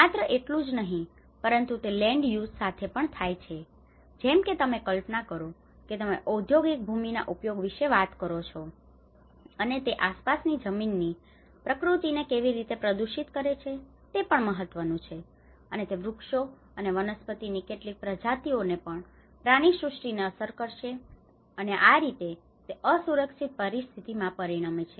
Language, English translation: Gujarati, However, not only that it will also go with the land use like imagine you would talk about a industrial land use and how it can pollute the surrounding soil nature, that is also an important, and it will affect certain species of trees and flora and fauna, this how the result into the unsafe conditions